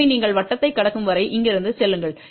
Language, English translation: Tamil, So, from here you move till you cross the circle